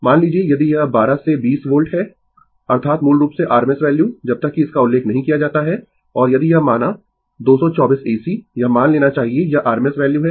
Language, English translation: Hindi, Suppose, if it is 12 to 20 volt, that is basically rms value unless and until it is not mentioned and if it say 224 AC, you have to assume this is rms value